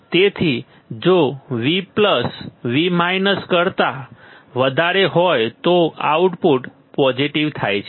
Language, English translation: Gujarati, So, if V plus is greater than V minus output goes positive it is correct right